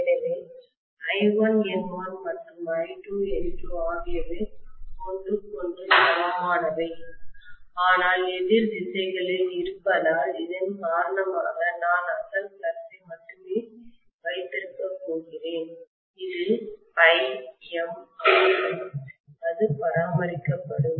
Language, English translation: Tamil, So I1 N1 and I2 N2 are equal to each other but in opposite directions because of which I am going to have only the original flux which was phi m that will prevail, that will be maintained